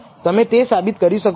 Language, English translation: Gujarati, You can prove this